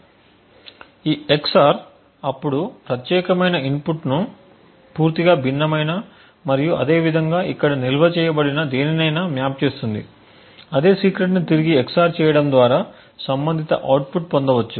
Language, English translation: Telugu, So, this EX OR would then map specific input to something which is totally different and similarly anything which is stored over here that same secret is EX OR back to obtain the corresponding output